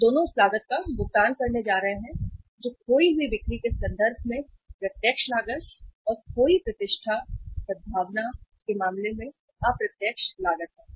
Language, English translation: Hindi, And both are going to pay the cost which is direct cost in terms of the lost sales and the indirect cost in terms of the lost reputation, goodwill